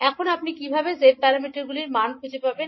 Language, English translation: Bengali, Now, how you will find out the values of g parameters